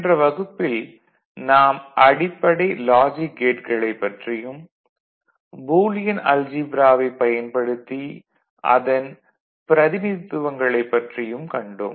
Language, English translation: Tamil, Hello everybody, in the last class, we had a look at basic logic gates and we had seen representations of those logic gates or circuitry using Boolean algebra